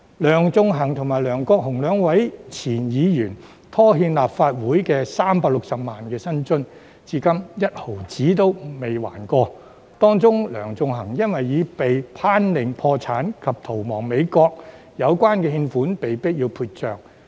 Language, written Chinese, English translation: Cantonese, 梁頌恆與梁國雄兩名前議員拖欠立法會360萬元薪津，至今分毫未曾償還，而其中梁頌恆更因已被頒令破產及逃亡美國，有關欠款被迫要撇帳。, Two former Members of the Legislative Council Sixtus LEUNG and LEUNG Kwok - hung owe the Legislative Council remuneration paid to them amounting to 3.6 million and have not paid back a cent . In particular since a bankruptcy order has been issued against Sixtus LEUNG who has absconded to the United States the debt has to be written off